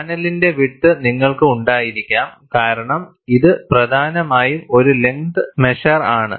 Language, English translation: Malayalam, You could also have the width of the panel, because it is essentially a length measure